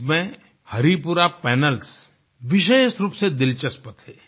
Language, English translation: Hindi, Of special interest were the Haripura Panels